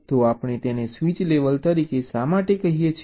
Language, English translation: Gujarati, so why we call it as a switch level